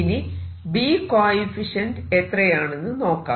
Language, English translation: Malayalam, How about B coefficient